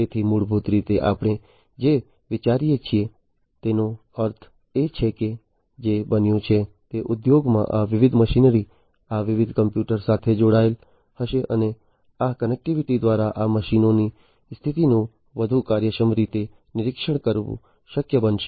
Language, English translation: Gujarati, So, basically what we are think I mean what has happened is these different machinery in the industries would be connected to different computers and through this connectivity, what it would be possible is to monitor the condition of these machines in a much more efficient manner than before